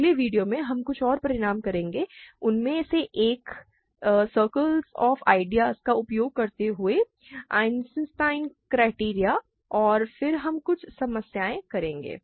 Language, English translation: Hindi, In the next video, we will do some more results; one of them being Eisenstein criterion using this circle of ideas and then we will do some problems